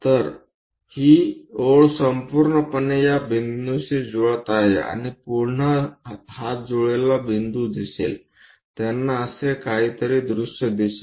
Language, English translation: Marathi, So, this line entirely coincides with this point and again one will be seeing this ah coincided point; for view, they will see something like this